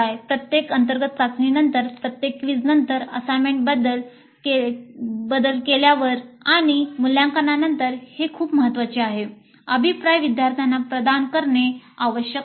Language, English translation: Marathi, After every internal test, after the quiz, after the assignments are turned in and evaluated, feedback must be provided to the students